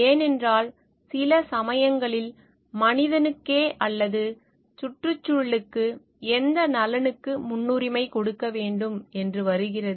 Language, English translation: Tamil, Because then sometimes if it comes to like which welfare to give a priority to the human or the environment